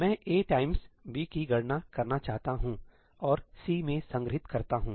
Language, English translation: Hindi, I want to compute A times B and store it in C